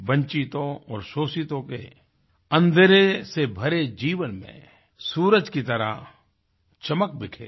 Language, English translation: Hindi, He let sunshine peep into the darkened lives of the deprived and the oppressed